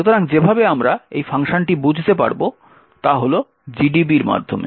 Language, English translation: Bengali, So, the way we will understand this function is through GDB